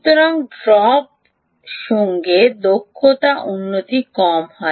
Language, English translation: Bengali, so efficiency improves with the drop is low